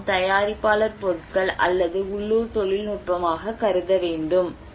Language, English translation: Tamil, This should be considered as a producer goods or local technology